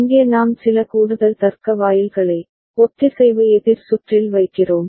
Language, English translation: Tamil, Here we are putting some additional logic gates in the synchronous counter circuit